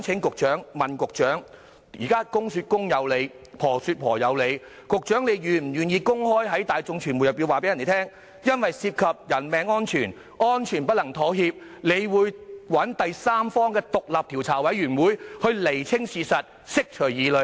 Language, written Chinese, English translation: Cantonese, 我想問，在現時"公說公有理，婆說婆有理"的情況下，局長是否願意公開告訴大眾和傳媒，由於涉及人命安全，安全不能妥協，局方會找第三方成立獨立調查委員會，以釐清事實，釋除疑慮？, As each side is now presenting its own interpretation is the Secretary willing to openly tell the public and the media that since the matter concerns the safety of human lives which cannot be compromised the Policy Bureau will set up an independent investigation committee composed of third - party members to clarify the facts and ease the concerns?